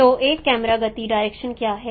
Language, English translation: Hindi, So what is the camera motion direction